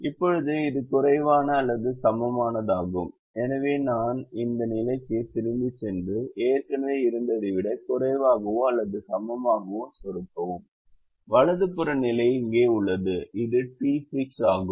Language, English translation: Tamil, so i go back to this position and click the less than or equal to, which is already there, and the right hand side position is here which is d six